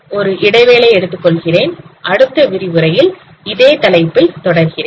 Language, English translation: Tamil, So let me take a break here and we will continue this topic in the next lecture